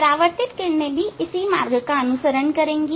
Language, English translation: Hindi, Reflected ray also it will follow the same path